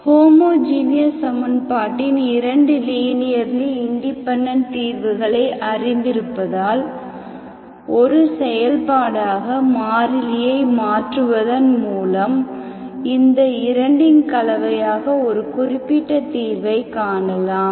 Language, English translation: Tamil, Having known 2 linearly independent solutions of homogeneous equation, we can find a particular solution as a combination of these 2 by varying the constant as a function, it is called variation of parameters, that is what we have seen with an example